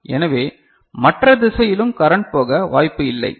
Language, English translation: Tamil, So, it is not possible to flow current in the other direction as well